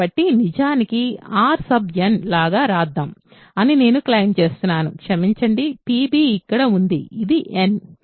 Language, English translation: Telugu, So, I claim that actually let us write it like R n n sorry p b is here this is n